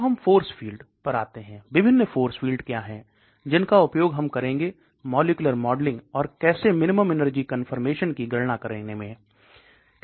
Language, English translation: Hindi, Then we come to force fields, what are the different force fields we use Well, molecular modelling, and then how do we calculate minimum energy confirmation